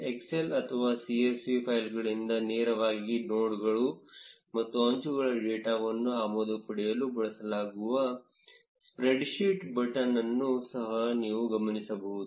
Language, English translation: Kannada, You will also notice an import spreadsheet button which is used to get nodes and edges data directly from excel or csv files